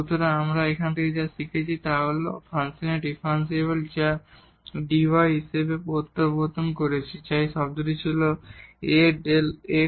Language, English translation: Bengali, So, what we have learnt now that the differential of the function which we have introduced as dy which was this term A into delta x